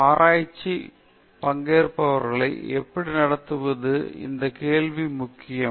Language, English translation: Tamil, And how to treat the participants in research these questions are important